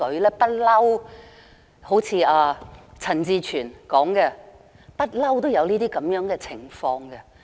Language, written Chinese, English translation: Cantonese, 正如陳志全議員所說，一直都有這種情況。, As rightly asserted by Mr CHAN Chi - chuen all such instances have been in existence all along